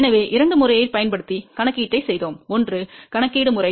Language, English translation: Tamil, So, we had done the calculation using two method; one was the calculation method